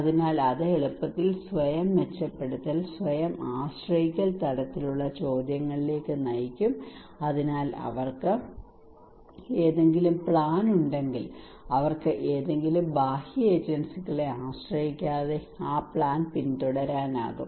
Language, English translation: Malayalam, So that will easily lead to kind of self enhance, self reliance kind of questions so if they have any plan they can pursue that plan without depending on any external agencies